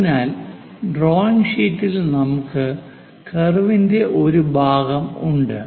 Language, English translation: Malayalam, So, we have a part of the curve here on the drawing sheet